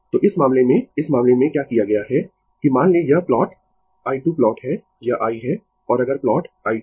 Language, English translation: Hindi, So, in this case, in this case what has been done that suppose this plot is i square plot, this is the i and if you plot i square